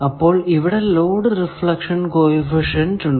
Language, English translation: Malayalam, So, there is a load reflection coefficient